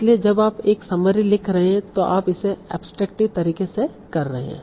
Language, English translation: Hindi, So when you write a summary, you are probably doing it in an abstractive manner